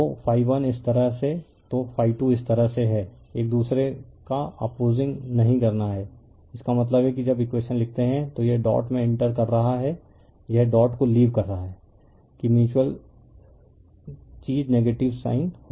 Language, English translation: Hindi, So, phi 1 this way then phi 2 is this way that is there, opposing each other is not it; that means, your when you write the equation it is entering the dot it is leaving the dot that mutual thing will be negative sign right